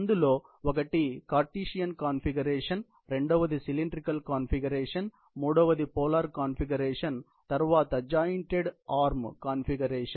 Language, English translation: Telugu, One is the Cartesian configuration; another is the cylindrical configuration; then the polar configuration and the jointed arm configuration